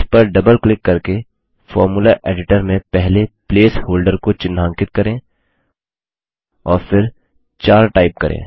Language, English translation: Hindi, Let us highlight the first placeholder in the Formula editor by double clicking it and then typing 4